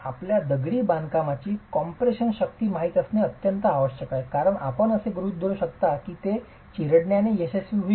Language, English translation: Marathi, You need to know the compressive strength of the masonry because you can assume that it is going to fail by crushing